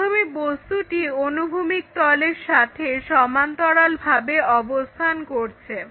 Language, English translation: Bengali, Let us see how to do that first the object is parallel to our horizontal plane